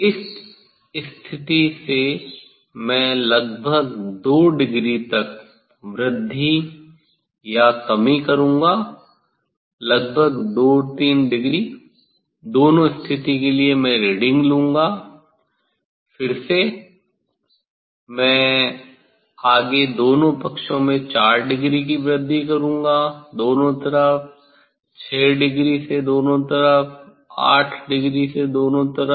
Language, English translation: Hindi, approximately I will from this position I will increase or decrease by 2 degree approximately 2 3 degree for both position I will take the reading, then again, I will further I will increase by 4 degree in both side 6 degree from both side, 8 degree from both side